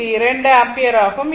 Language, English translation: Tamil, So, it is your 0 ampere